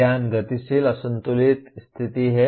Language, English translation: Hindi, Knowledge is dynamic unbalanced conditions